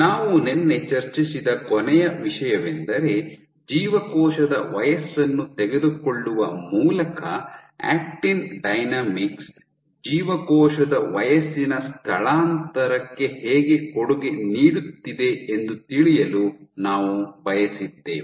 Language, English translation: Kannada, So, the last thing we discussed yesterday was by taking a cell age we wanted to know how actin dynamics is contributing to age displacement